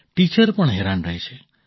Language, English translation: Gujarati, Teachers also get upset